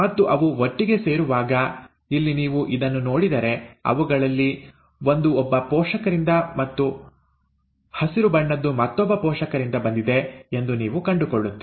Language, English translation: Kannada, And as they come together, they, so here if you look at this one, you find that one of them is from one parent and the green one is from the other parent